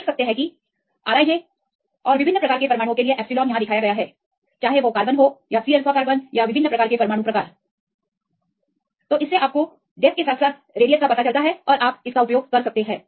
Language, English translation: Hindi, You can see this is the R i j and the epsilon for different types of atoms; whether it is a carbon and the C alpha carbon and the different types of atom types, you can have these well depth as well as the radius and you can use that